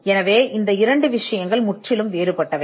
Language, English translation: Tamil, So, these 2 things are completely different